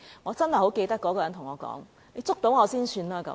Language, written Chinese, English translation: Cantonese, 我仍然記得那個人曾對我說："你捉到我才算吧"。, I still remember the person who said to me that Catch me if you can